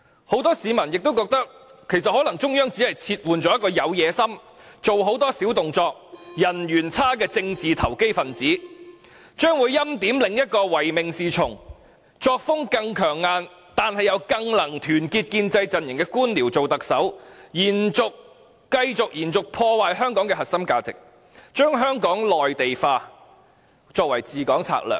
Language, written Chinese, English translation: Cantonese, 很多市民亦覺得，其實中央可能只是撤換了一個有野心、做很多小動作、人緣又差的政治投機分子，而將會欽點另一個唯命是從，作風更強硬，但又更能團結建制陣營的官僚做特首，繼續破壞香港的核心價值，把內地化作為治港策略。, Many others believe that the Central Authorities may just be removing a political opportunist who is ambitious tricky and unpopular and will appoint as Chief Executive a bureaucrat who is uncritically obedient even more iron - fisted but better at uniting the pro - establishment camp . This new Chief Executive may continue to shatter the core values of Hong Kong and adopt Mainlandization of Hong Kong as governing strategy